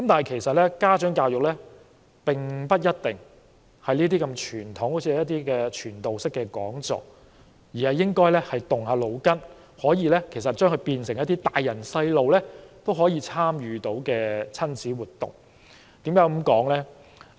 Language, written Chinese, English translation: Cantonese, 其實，家長教育活動不一定是這麼傳統的傳道式講座，而是應該動動腦筋，使之變成一些家長和孩子都可以參與的親子活動。, In fact educational activities for parents do not need to be in the traditional format of a sermon - like talk . These activities should encourage participants to think so that the activities can become a family activity for both parents and children